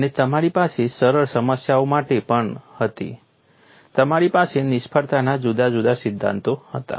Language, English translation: Gujarati, And you had even for simple problems, you had different failure theories